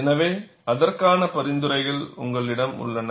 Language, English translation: Tamil, So, you have recommendations for that